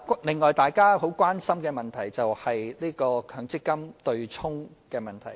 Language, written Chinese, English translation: Cantonese, 此外，大家十分關心的另一問題，就是強制性公積金"對沖"的問題。, Besides another issue of great concern to Members is the offsetting arrangement under the Mandatory Provident Fund MPF System